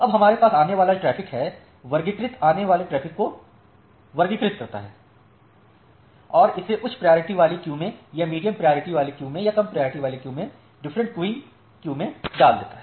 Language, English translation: Hindi, Now we have a incoming traffic, the classifier classifies the incoming traffic and put it into different queuing queues either in the high priority queue or in the medium priority queue or in the low priority queue